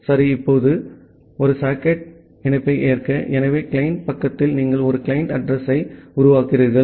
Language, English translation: Tamil, Well, now to accept a socket connection, so you in the client side you create a client address